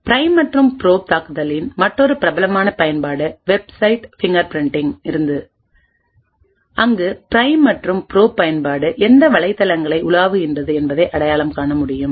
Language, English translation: Tamil, Another famous application of the prime and probe attack was is for Website Fingerprinting where the Prime and Probe application can identify what websites are being browsed